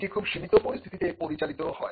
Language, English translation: Bengali, This operates in very limited circumstances